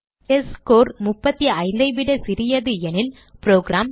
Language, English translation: Tamil, If the testScore is less than 35, then the program displays C Grade